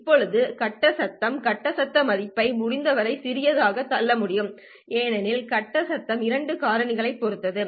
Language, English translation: Tamil, Now face noise, you know, you can't keep pushing the face noise value as small as possible because face noise depends on two factors